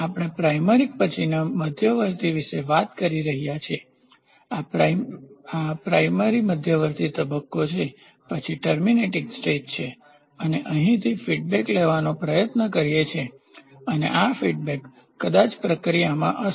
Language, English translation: Gujarati, So, what are we talking about primary then intermediate this is primary intermediate stage, then we have terminating stage terminating stage and from here, we try to take an feedback stage and this feedback, sorry, this feedback this feedback will be maybe it will be to the process